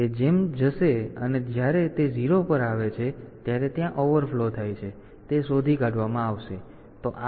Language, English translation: Gujarati, So, when it comes to 0, then there is an overflow